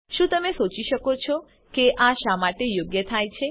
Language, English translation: Gujarati, Can you think for a moment why this happens